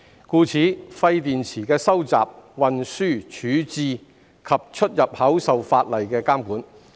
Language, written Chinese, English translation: Cantonese, 故此，廢電池的收集、運輸、處置及出入口受法例監管。, As such the collection transportation disposal as well as import and export of waste batteries are regulated by the law